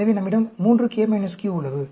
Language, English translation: Tamil, So, we have the 3k minus q